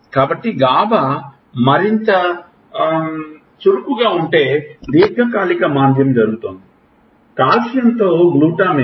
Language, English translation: Telugu, So, if gaba is more active long term depression will happen, glutamate with calcium